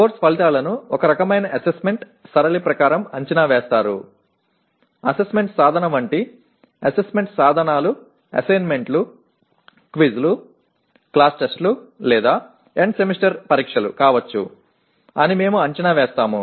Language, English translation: Telugu, Course outcomes are assessed as per some kind of assessment pattern, we will explain that and assessment pattern determines the assessment instruments like assessment instruments could be assignments, quizzes, class tests or end semester exams